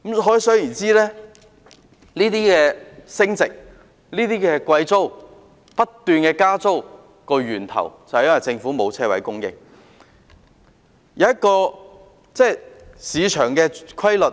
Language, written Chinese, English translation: Cantonese, 可想而知，升值、租金貴、不斷加租的源頭，是因為政府沒有供應車位。, One can realize that the appreciation exorbitant rents and constant rent hikes all originate from the failure of the Government to supply parking spaces